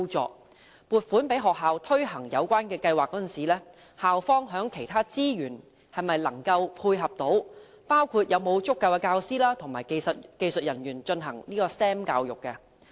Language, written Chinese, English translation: Cantonese, 在撥款予學校推行有關計劃時，須考慮校方在其他資源方面能否配合，包括是否有足夠的教師和技術人員推行 STEM 教育？, In providing funds to schools for the implementation of the relevant programmes it should consider whether or not the school has the resources required in other aspects in supporting the programmes which include an adequate number of teachers and technology staff to provide STEM education